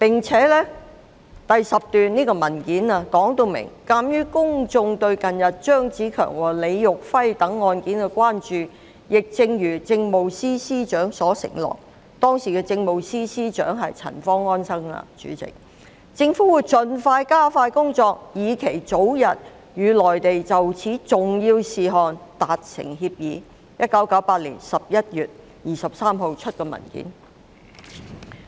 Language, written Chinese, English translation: Cantonese, 此外，文件第10段訂明："鑑於公眾對近日張子強和李育輝等案件的關注，亦正如政務司司長所承諾，"——代理主席，當時的政務司司長是陳方安生——"政府會盡力加快工作，以期早日與內地就此重要事項達成協議"，這是1998年11月23日發出的文件。, Moreover it was stated in paragraph 10 of the relevant document In view of the public concern over the recent cases of CHEUNG Tze - keung and LI Yuhui the Government will as the Chief Secretary for Administration has pledged―Deputy President Anson CHAN was the Chief Secretary for Administration at the time―do its utmost to press ahead its work with a view to concluding an early agreement with the Mainland on this important matter . This document was issued on 23 November 1998